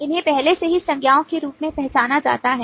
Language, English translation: Hindi, these have already been identified as noun, so we already know that